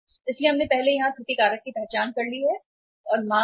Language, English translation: Hindi, So we have already identified here the error factor and demand is M